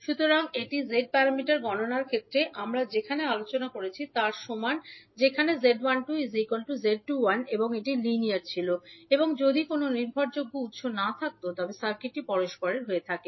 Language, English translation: Bengali, So this is similar to what we discussed in case of Z parameters calculation where Z 12 is equal to Z 21 and it was linear and if it was not having any dependent source, the circuit was reciprocal